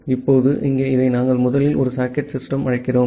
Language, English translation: Tamil, Now, here this we are first making a socket system call